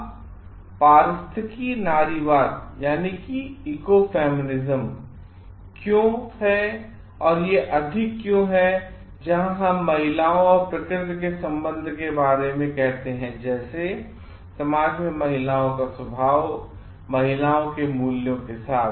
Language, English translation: Hindi, Now, why this ecofeminism so, it is more where we called about the between the connections of women and nature in the sense like, what how woman the nature of women in the society and with the values of women